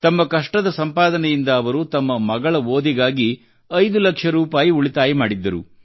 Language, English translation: Kannada, Through sheer hard work, he had saved five lakh rupees for his daughter's education